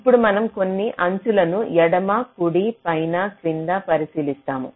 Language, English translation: Telugu, now we consider some edges: left, right, top, bottom